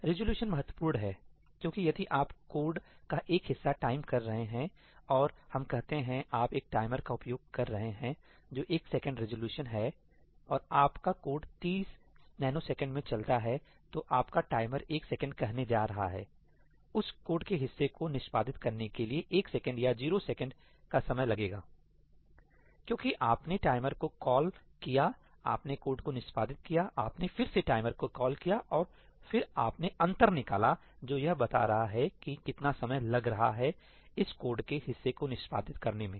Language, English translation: Hindi, Resolution is important because if you are timing a piece of code and let us say, you are using a timer which is one second resolution, and your code runs in 30 nanoseconds , your timer is going to say one second, it took one second to execute that piece of code or 0 seconds